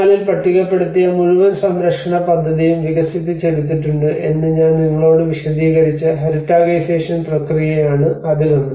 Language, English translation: Malayalam, So one is the heritagisation process I just explained you that in 1984 the whole listed the conservation plan has been developed